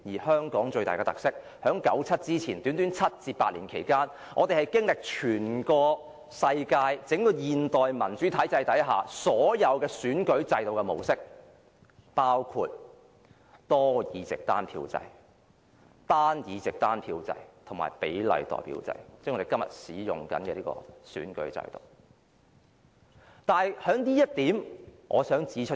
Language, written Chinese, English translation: Cantonese, 香港最大的特色，是在九七前的短短7至8年間，我們經歷了全世界整個現代民主體制下所有選舉制度的模式，包括多議席單票制、單議席單票制及比例代表制，即我們今天正在使用的選舉制度。, The most striking feature of Hong Kongs electoral system is that in the short period of seven or eight years before 1997 it experienced practically all the electoral models found in modern democracies all over world including the multi - seat single vote system; the single - seat single vote system; and the proportional representation system that is the very electoral system we use today